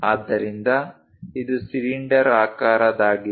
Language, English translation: Kannada, So, it is a cylindrical one